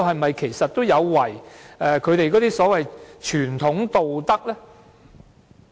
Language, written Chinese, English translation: Cantonese, 這其實是否也有違他們的所謂"傳統道德"呢？, Do all these acts run counter to their so - called traditional ethics?